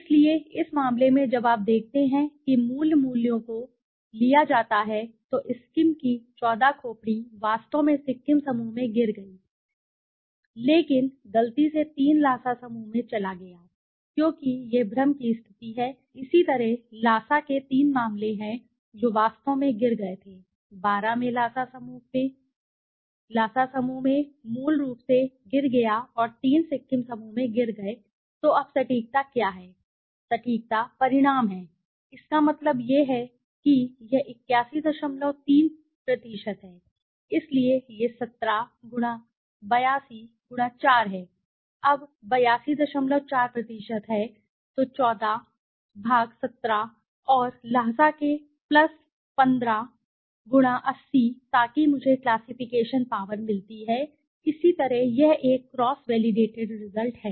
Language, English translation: Hindi, So, in this case when you have see when the original values are taken right so 14 skulls of skim actually fell into Sikkim the group but by mistake 3 went to the Lhasa group it is because of the confusion similarly Lhasa there are three cases which actually fell into 12 fell into the Lhasa group originally and three fell into Sikkim group so now what is the accuracy result the accuracy result is so that means it is 81